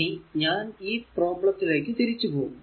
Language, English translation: Malayalam, So, now I am going back to that problem, let me clean this